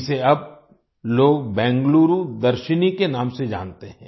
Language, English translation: Hindi, Now people know it by the name of Bengaluru Darshini